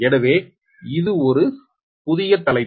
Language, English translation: Tamil, so this is a new topic